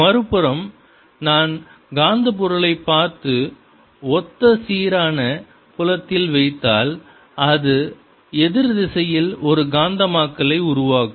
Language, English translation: Tamil, on the other hand, if i look at diamagnetic material and put it in the similar uniform field, it'll develop a magnetizationally opposite direction